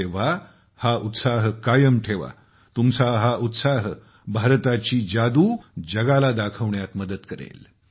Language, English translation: Marathi, So keep up the momentum… this momentum of yours will help in showing the magic of India to the world